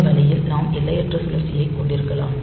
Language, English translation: Tamil, So, this way this we can have infinite loop